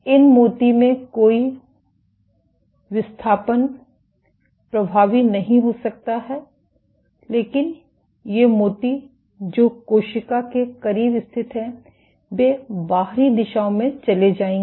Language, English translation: Hindi, So, this bead may not have effective any displacement, but these beads which are positioned close to the cell will move in outward directions